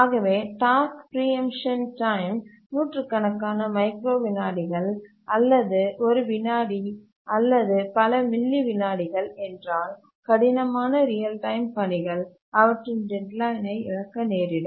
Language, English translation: Tamil, So if the task preemption time is hundreds of microseconds or a second or several milliseconds, then it's likely that the hard real time tasks will miss their deadline